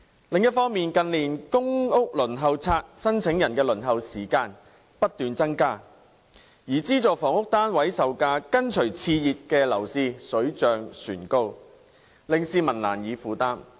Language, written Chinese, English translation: Cantonese, 另一方面，近年公屋輪候冊申請人的輪候時間不斷增加，而資助房屋單位售價跟隨熾熱樓市水漲船高，令市民難以負擔。, On the other hand the waiting time for applicants on the Waiting List for public rental housing has been increasing continuously in recent years and the prices of subsidized housing units which have soared in tandem with a heating up property market are beyond the affordability of the public